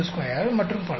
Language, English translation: Tamil, 925 and so on